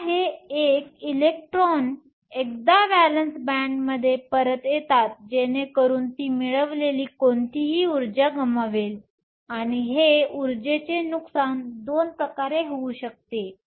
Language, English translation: Marathi, Now, this electron once to come back to the valence band, so that it losses whatever energy it is gained, and this energy loss can occur in 2 ways